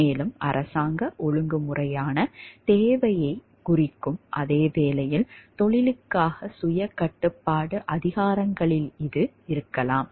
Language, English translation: Tamil, It can also be in greater powers of self regulation for the profession itself while lessening the demand for a more government regulation